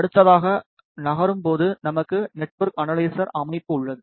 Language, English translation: Tamil, Moving next we have a network analyzer system